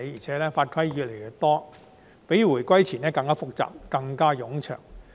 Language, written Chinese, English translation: Cantonese, 再加上法規越來越多，相關程序較回歸前亦更複雜、更冗長。, Worse still there are more regulations and the relevant procedures are much more complicated and time - consuming than before the return of sovereignty